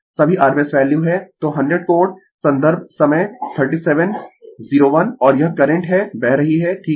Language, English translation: Hindi, So, 100 angle and this is the current is flowing right